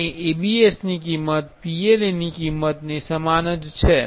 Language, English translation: Gujarati, And ABS is the cost wise that is similar to PLA